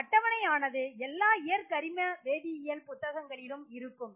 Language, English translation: Tamil, So these tables are available in any textbook on physical organic chemistry